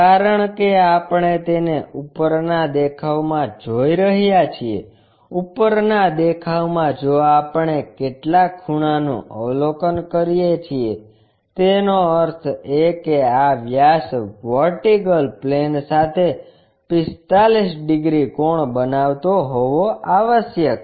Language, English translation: Gujarati, In top view, if we are observing some angle; that means, this diameter must be making a 45 degrees angle with the vertical plane